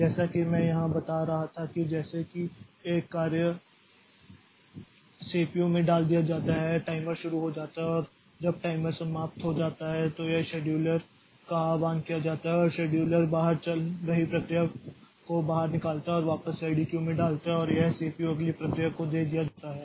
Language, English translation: Hindi, As I was telling here that as soon as a job is put into the CPU the timer starts and the timer when it expires then it the scheduler is invoked and scheduler takes out the running process puts back puts it back into the ready queue and it is the CPU is given to the next process